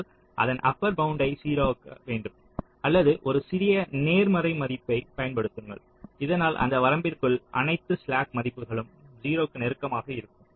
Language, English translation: Tamil, so either you just upper bound it to zero or use a small positive value so that the slack values all reach close to zero within that range